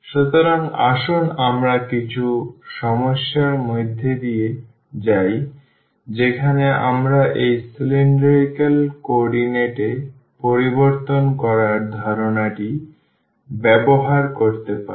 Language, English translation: Bengali, So, let us go through some problems where we can use the idea of this changing to cylindrical coordinates in this problem number 1